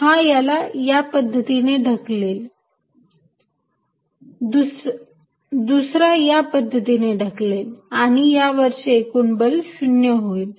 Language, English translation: Marathi, This fellow pushes it this way, the other fellow pushes this way, and the net force is 0